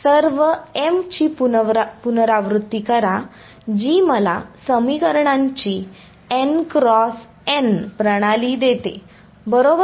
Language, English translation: Marathi, Repeat for all ms that gives me a n cross s n cross n system of equations right